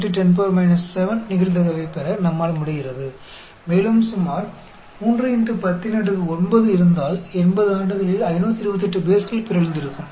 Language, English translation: Tamil, 76 into 10 power minus 7, and we assume, if there are about 3 into 10 power 9 bases, there would have been 528 bases that would have got mutated in the 80 years